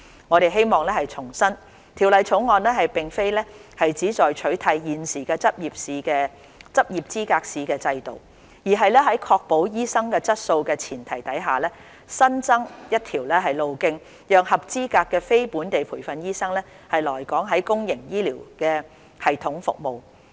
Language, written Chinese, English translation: Cantonese, 我們希望重申，《條例草案》並非旨在取締現時執業資格試的制度，而是在確保醫生質素的前提下，新增一條路徑讓合資格的非本地培訓醫生來港在公營醫療系統服務。, We must reiterate that the Bill is not intended to replace the current system of Licensing Examination but to create a new pathway for qualified NLTDs to practise in the public healthcare system in Hong Kong without compromising the quality of doctors